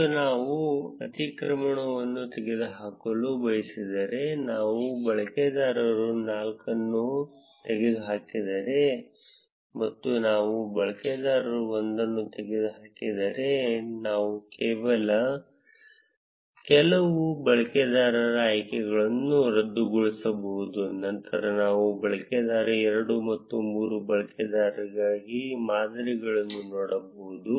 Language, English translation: Kannada, And if we want to remove the overlap we can unselect some of the users for instance if I remove the user 4 and I remove the user 1, then I can see the patterns for user 2 and user 3